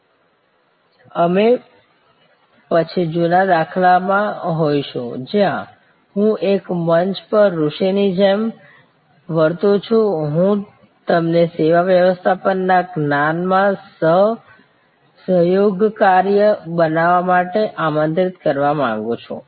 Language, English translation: Gujarati, We will then be in the old paradigm, where I am behaving like a sage on a stage, I would like to invite you to be a co contributor to the knowledge of service management